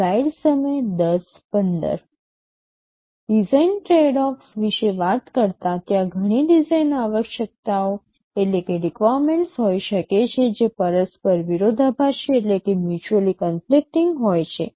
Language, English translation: Gujarati, Talking about design tradeoffs, there can be several design requirements that are mutually conflicting